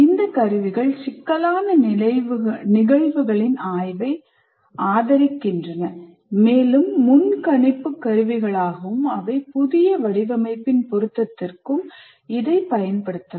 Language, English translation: Tamil, And these tools support the study of complex phenomena and as a predictive tools they can anticipate the suitability of a new design